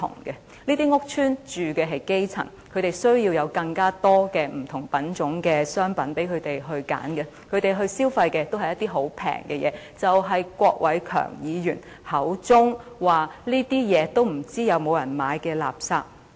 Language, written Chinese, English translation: Cantonese, 這些屋邨的居民是基層，他們需要有更多不同品種的商品讓他們選擇，他們所消費的也是一些十分便宜的東西，即郭偉强議員口中所說不知道是否有人購買的垃圾。, Residents of these housing estates are grass - roots people . It is necessary to provide them with a greater variety of goods as choices . The goods that they buy are some very cheap stuff which Mr KWOK Wai - keung refers to as rubbish that nobody cares to buy